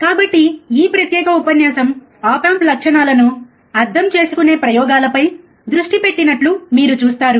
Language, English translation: Telugu, So, as you see that this particular lecture is focused on experiments on understanding op amp characteristics